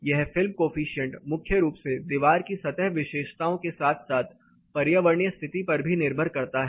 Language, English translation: Hindi, This particular film coefficient also primarily depends on the surface characteristics of the wall as well as the environmental condition